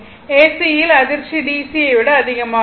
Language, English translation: Tamil, So, shock in AC will be more than the DC right